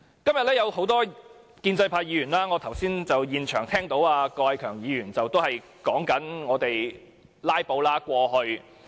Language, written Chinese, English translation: Cantonese, 今天有多位建制派議員，例如我剛才現場聽到郭偉强議員發言時提及過去的"拉布"行動。, Many Members from the pro - establishment camp have talked about the filibuster in the past . For example I heard the speech of Mr KWOK Wai - keung on this just now